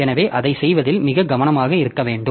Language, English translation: Tamil, So, we have to be very careful in doing that